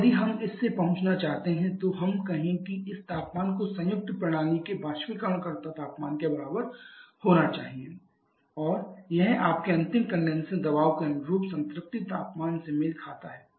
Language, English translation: Hindi, Now if we want to reach from this let us say talk about this temperature to be equal to your evaporator temperature of the combined system and this corresponds to the saturation temperature corresponding to your final condenser pressure